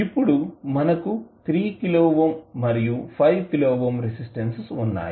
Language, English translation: Telugu, Now, we have 3 kilo ohm and 5 kilo ohm resistances